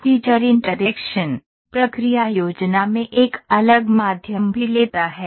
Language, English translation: Hindi, The feature interaction also takes a different means in the process planning